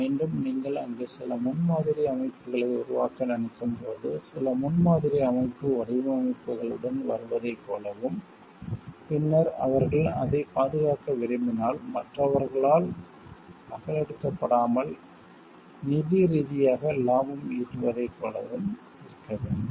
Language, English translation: Tamil, Again, like when you are there thinking of some prototype building, model building coming up with designs, and then if they want to protect it so that from getting copied by others and want to be like financially gaining from it